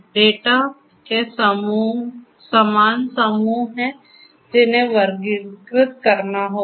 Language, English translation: Hindi, So, there are similar groups of data which will have to be; which will have to be classified